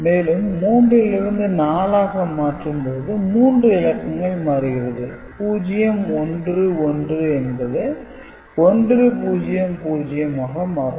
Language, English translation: Tamil, So, from 3 to 4 you can see 3 digits are changing 1 1 is becoming 1 0 0, ok